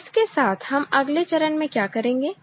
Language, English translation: Hindi, So, with that we go to what will be the next step